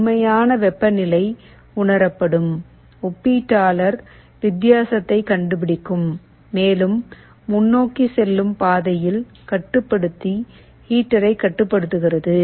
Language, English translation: Tamil, The actual temperature will be sensed, the comparator will be finding a difference, and in the forward path the controller will be controlling a heater